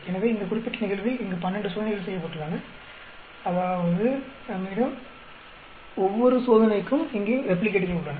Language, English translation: Tamil, So, in this particular case where we have 12 experiments performed; that means, we have replicates here in each of the case